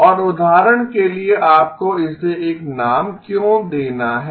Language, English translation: Hindi, And why do you have to give it a name for example